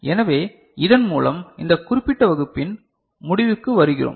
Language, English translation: Tamil, So, with this we come to the conclusion of this particular class